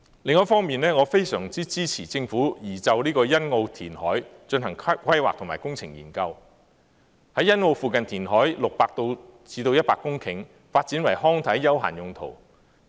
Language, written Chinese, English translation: Cantonese, 另一方面，我非常支持政府就欣澳填海進行規劃及工程研究，在欣澳附近填海60公頃至100公頃，發展為康體休閒用途。, In addition I am very supportive of the Governments planning and engineering study on Sunny Bay reclamation which will provide 60 to 100 hectares of land to be developed for leisure recreation and sports purposes